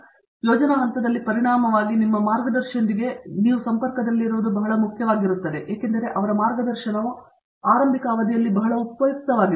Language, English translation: Kannada, So, as a result during the planning stage it is very essential that you are in touch with your guide a more frequently because his guidance becomes very useful in that initial period